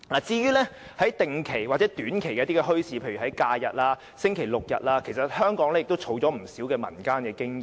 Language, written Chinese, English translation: Cantonese, 至於定期或短期墟市，例如每逢假日及星期六日才舉行的墟市，香港其實也累積了不少民間經驗。, In fact Hong Kong has accumulated some experience in holding regular or short - term bazaars in the community such as those held during the holidays and weekends